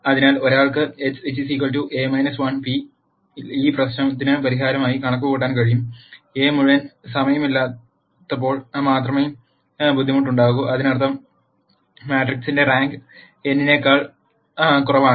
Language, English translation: Malayalam, So, one could simply compute x equal A inverse p as a solution to this problem, the di culty arises only when A is not fulltime; that means, the rank of the matrix is less than n